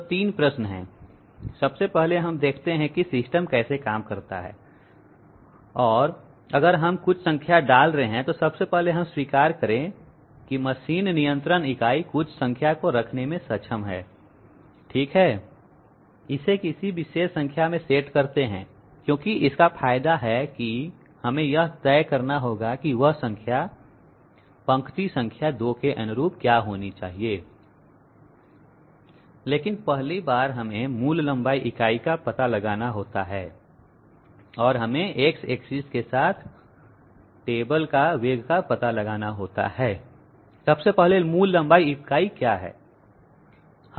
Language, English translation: Hindi, If we are putting in some number, so first of all let us accept the machine control unit is capable of putting in some number okay, setting it to a particular number as it pleases so we have to decide what that number should be corresponding to line number 2, but 1st of all let us find out the basic length unit and let us find out the velocity of the table along X axis